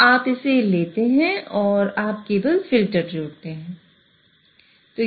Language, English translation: Hindi, So you take this and you simply add the filter